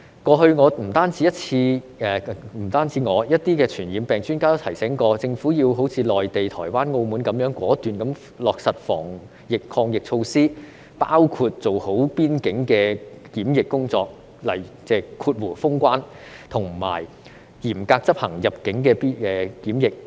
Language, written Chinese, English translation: Cantonese, 過去，不止我，還有一些傳染病專家也提醒政府要好像內地、台灣和澳門般果斷地落實防疫抗疫措施，包括做好邊境的檢疫工作和嚴格執行入境的檢疫。, In the past not only me but also some infectious disease experts have reminded the Government to implement anti - epidemic measures as decisively as in the Mainland Taiwan and Macao including implementing quarantine measures at the border and strict quarantine measures for people entering Hong Kong